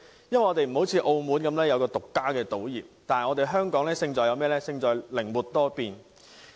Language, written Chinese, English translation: Cantonese, 與擁有自家賭業的澳門不同，本港的優勢是勝在靈活多變。, Unlike Macao which boasts its own gaming industry Hong Kong can only rely on its edges of flexibility and adaptability